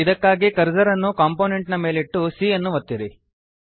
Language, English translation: Kannada, For this, keep the cursor on the component and then press c